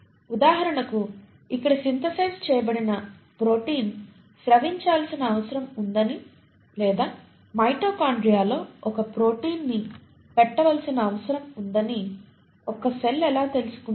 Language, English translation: Telugu, For example how will a cell know that a protein which is synthesised here needs to be secreted or a protein needs to be put into the mitochondria